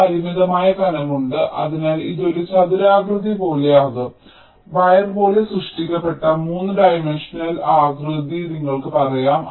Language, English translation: Malayalam, there is a finite thickness, so it will be like a rectangular, you can say three dimensional shape, which is ah, created as the wire so